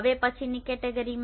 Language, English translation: Gujarati, In the next category